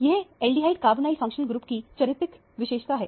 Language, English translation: Hindi, This is a very characteristic feature of an aldehyde carbonyl functional group